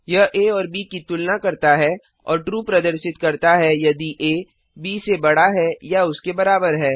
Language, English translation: Hindi, It compares a and b and returns true if a is greater than or equal to b